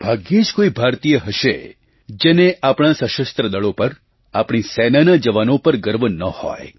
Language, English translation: Gujarati, There must be hardly any Indian who doesn't feel proud of our Armed Forces, our army jawans, our soldiers